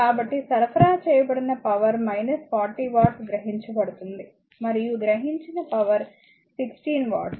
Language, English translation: Telugu, So, power supplied is it is taken minus 40 watt and your power absorbing that is 16 watt, here it is 9 watt